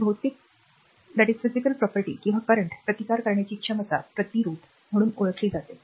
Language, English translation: Marathi, So, the physical property or ability to resist current is known as resistance